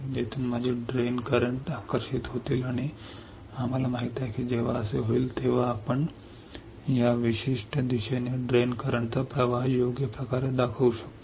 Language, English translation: Marathi, My electrons from here will get attracted towards the drain and we know that when this happens we can show the drain current in this particular direction right